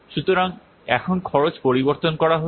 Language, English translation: Bengali, So now the cost is being changed